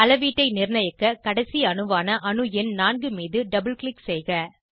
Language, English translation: Tamil, To fix the measurement, double click on the ending atom, which is atom number 4